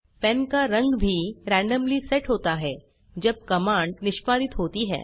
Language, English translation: Hindi, The color of the pen is also set randomly when the command is executed